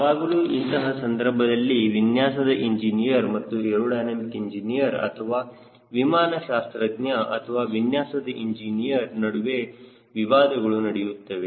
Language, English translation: Kannada, so there is a always the conflict between a layout engineer and a aerodynamics or a flight mechanics or designer engineer